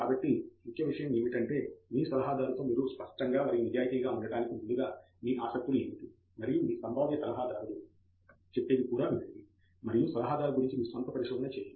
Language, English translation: Telugu, So, what is important is upfront to be very frank and honest with your advisor, express what your interests are and also listen to what your potential advisor has got to say, and do your own little bit of research about the advisor